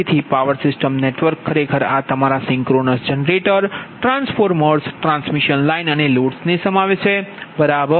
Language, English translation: Gujarati, so a power system network actually comprises your synchronous generators, a transformers, transmission lines and loads